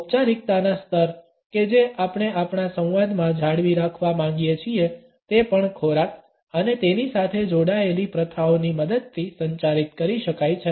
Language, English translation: Gujarati, The levels of formality which we want to maintain in our dialogue can also be communicated with the help of food and its associated practices